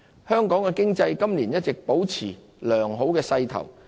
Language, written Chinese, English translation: Cantonese, 香港經濟今年一直保持良好勢頭。, The economic momentum of Hong Kong remains strong this year